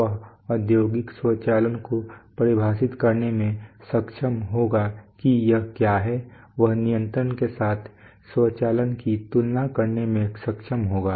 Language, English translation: Hindi, He will be able to define Industrial automation what it is, he will be able to compare automation with control